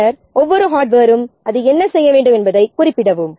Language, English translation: Tamil, Then for each piece of hardware, specify what it needs to do